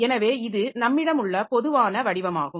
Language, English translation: Tamil, So, this is the most common version that we have